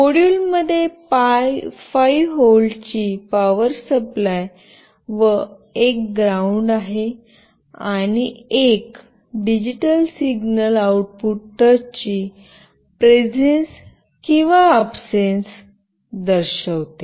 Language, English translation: Marathi, The module has a 5 volt power supply and a ground, and a digital signal output that indicates the presence or absence of the touch